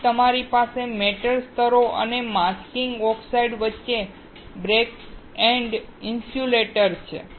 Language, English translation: Gujarati, Then, you have backend insulators between metal layers and masking oxides